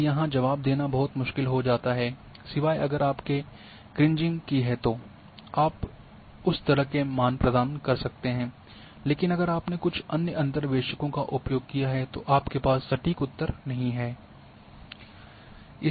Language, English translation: Hindi, And here it becomes very difficult to answer except if you have done Kriging then you can provide that kind of values, but if you have used some other interpolators probably you do not have the exact answer